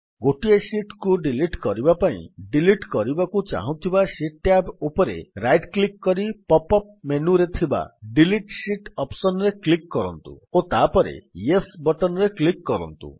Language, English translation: Odia, In order to delete single sheets, right click on the tab of the sheet you want to delete and then click on the Delete Sheet option in the pop up menu and then click on the Yes option